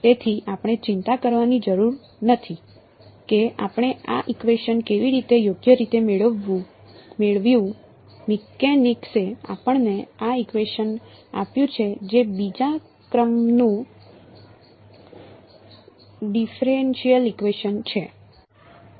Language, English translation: Gujarati, So, we need not worry how we got this equation right; mechanics has given this equation to us which is the second order differential equation right